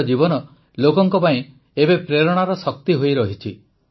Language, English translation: Odia, His life remains an inspirational force for the people